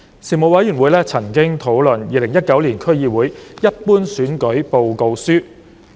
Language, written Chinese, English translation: Cantonese, 事務委員會曾討論《2019年區議會一般選舉報告書》。, The Panel discussed the Report on the 2019 District Council Ordinary Election